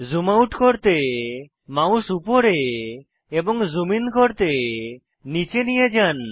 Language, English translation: Bengali, Move the mouse wheel upwards to zoom out, and downwards to zoom in